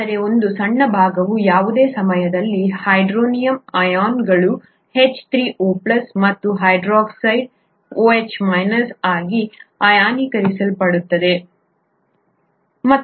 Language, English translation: Kannada, A small part of it is ionised at any time into hydronium ions, H3O plus, and hydroxide OH minus, okay